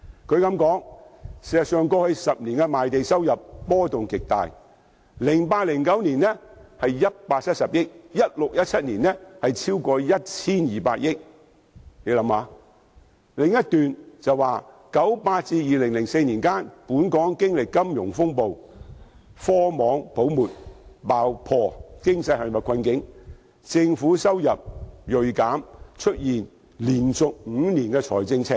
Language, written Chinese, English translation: Cantonese, 分析指出，過去10年的賣地收入波幅極大 ，2008-2009 年度是170億元 ，2016-2017 年度是超過 1,200 億元；分析的另一段指出，由1998年至2004年期間，本港經歷金融風暴，科網泡沫爆破，經濟陷入困境，政府收入銳減，連續5年出現財政赤字。, The analysis pointed out that over the past decade land revenue varied considerably from 17 billion in 2008 - 2009 to over 120 billion in 2016 - 2017 . Another paragraph of the analysis indicated that from 1998 to 2004 when the Hong Kong economy was ensnared in difficulties during the financial crisis and the Internet and technology bubble burst government revenue plunged sharply and Hong Kong experienced five years of fiscal deficits